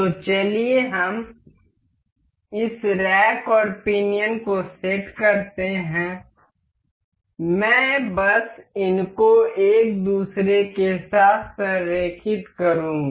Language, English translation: Hindi, So, let us just set up this rack and pinion, I will just align these over one another